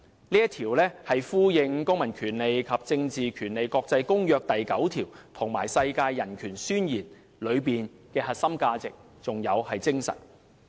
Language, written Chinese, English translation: Cantonese, "這一條也呼應《公民權利和政治權利國際公約》第九條，以及《世界人權宣言》的核心價值和精神。, This Article also echoes Article 9 of ICCPR and is also the core value and spirit of the United Nations Universal Declaration of Human Rights